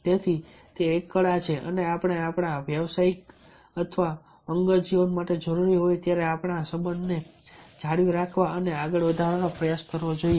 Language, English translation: Gujarati, so its its an art and we should try to maintain in advance our relationship as and met required for our professional or personal life